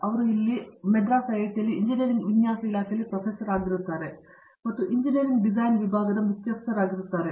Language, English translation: Kannada, He is Professor in the Department of Engineering Design and he is also the Head of the department of the Engineering Design, here at IIT, Madras